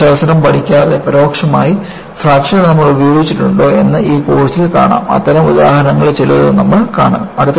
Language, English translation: Malayalam, And, we will see in this course, whether fracture also we have been using it, indirectly without learning the Mathematics; we would see some of those examples